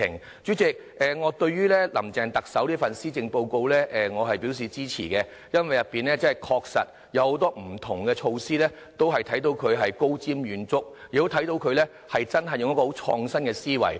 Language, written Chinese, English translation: Cantonese, 代理主席，對於特首"林鄭"這份施政報告，我是表示支持的，因為確實有很多不同的措施，可看到她是高瞻遠矚，也看到她真的有很創新的思維。, Deputy President I approve of Chief Executive Carrie LAMs Policy Address because it contains many different policy initiatives that can show her vision and innovative mindset